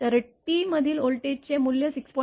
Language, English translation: Marathi, The value of voltage at t is equal to 6